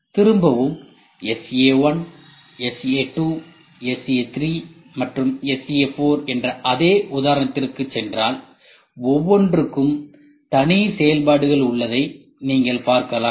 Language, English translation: Tamil, See if I go back to the same example SA1, SA2, SA3 and SA4 you can see here each will have individual functions